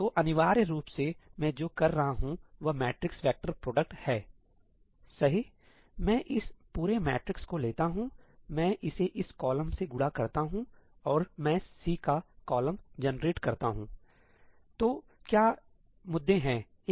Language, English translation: Hindi, So, essentially what I am doing is the matrix vector product, right; I take this entire matrix, I multiply it with this column and I generate the column of C